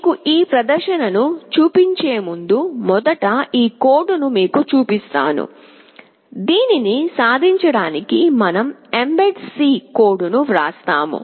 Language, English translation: Telugu, Before showing you the demonstration, let me first show you the code, what mbed C code we have written to achieve this